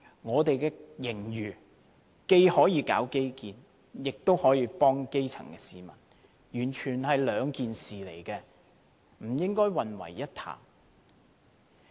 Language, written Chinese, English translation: Cantonese, 我們現在有盈餘，既可進行基建，亦可幫助基層市民，完全是兩件事，不應混為一談。, With a fiscal surplus the Government can implement infrastructure projects as well as help the grass roots . These are two different matters which should not be treated as one